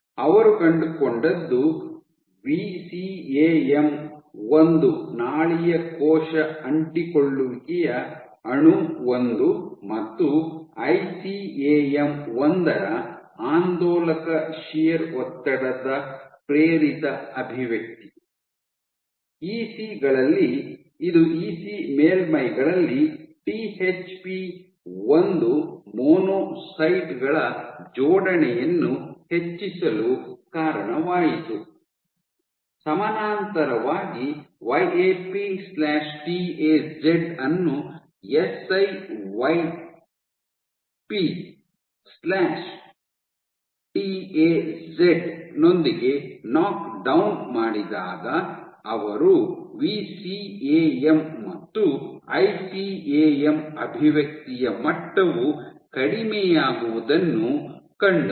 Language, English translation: Kannada, What they found was oscillatory shear stress it induced, expression of VCAM 1 vascular cell adhesion molecule 1 and ICAM 1, in ECs and this led to increased attachment of THP1 monocytes, on EC surfaces; parallelly, when the knock down YAP/TAZ with siYT YAP/TAZ they saw decreased level of level of VCAM and ICAM expression leading to reduced adhesion